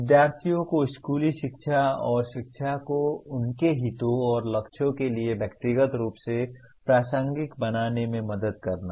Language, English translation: Hindi, Helping students see schooling and education as personally relevant to their interests and goals